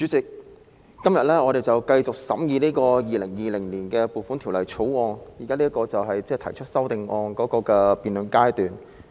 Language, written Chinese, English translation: Cantonese, 主席，我們今天繼續審議《2020年撥款條例草案》，現在是辯論修正案的階段。, Chairman we continue with the scrutiny of the Appropriation Bill 2020 today and we are now at the stage of debating on amendments